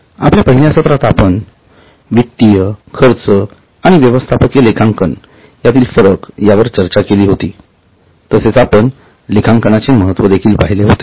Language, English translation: Marathi, In our first session we had discussed the distinction between financial cost and management accounting and we had also seen the importance of accounting